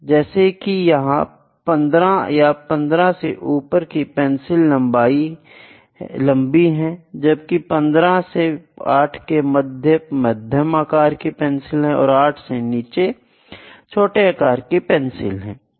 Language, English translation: Hindi, I can say from 15 and above it is long, that is 15 and above 8 is medium, 8 cm and less than 8 is small